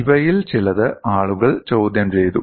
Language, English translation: Malayalam, Some of these were questioned by people